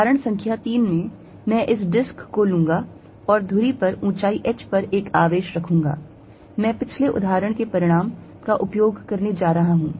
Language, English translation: Hindi, In example number 3, I am going to take this disc and put a charge at height h on the axis, I am going to use the result of previous example